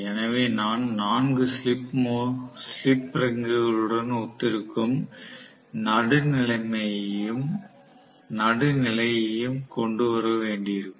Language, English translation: Tamil, So, I might have to bring the neutral also which will correspond to the 4 slip rings